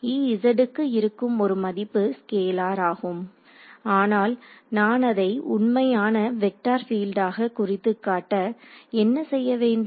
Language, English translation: Tamil, So, there is a value of E z is itself a scalar, but what if I wanted to do represent a true vector field